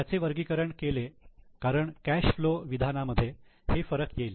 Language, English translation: Marathi, It is classified because it will make difference in the cash flow statement